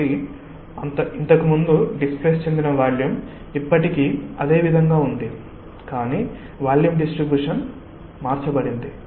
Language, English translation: Telugu, so the volume that was earlier immersed is still the same, but the distribution of the volume has changed